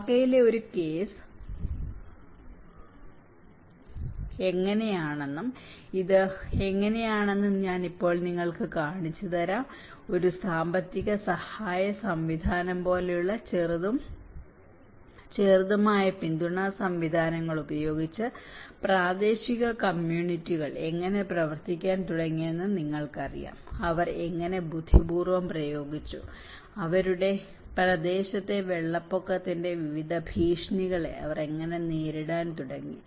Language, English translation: Malayalam, I will also show you now, how a case of Dhaka and how this has been; how local communities have also started working on you know, with small, small support systems like a financial support system, how they intelligently applied, how they started coping with different threats of the floods in their region